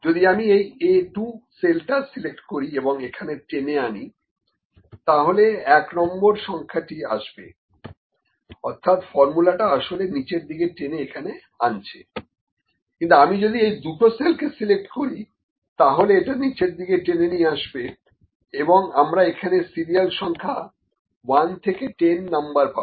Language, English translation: Bengali, If I select this cell A 2 and drag it here, the number 1 will appear drag means the that formula is actually dragging down here, but if I select these 2 cells, it will drag down and put the serial numbers from 1 to 10, ok